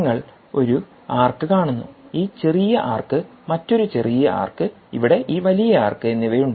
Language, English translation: Malayalam, there is an arc, smaller arc and another arc, and you have this command bigger arc here